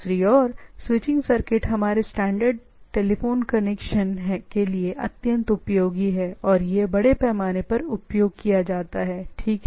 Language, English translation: Hindi, The circuit switching on the other hand is extremely useful or extensively used for our standard telephone connections, right